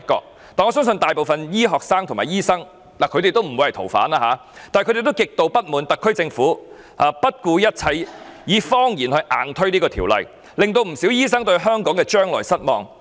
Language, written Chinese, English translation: Cantonese, 雖然我相信大部分醫科生及醫生皆不會成為逃犯，但他們亦極度不滿意特區政府不顧一切，以謊言硬推有關修訂，以致不少醫生對香港的將來感到失望。, I do not believe most of our medical students and medical doctors will become fugitive offenders but they are extremely discontented about the SAR Governments desperate attempt to force through the relevant amendments with falsehood . This has led to disappointment among many doctors about the future of Hong Kong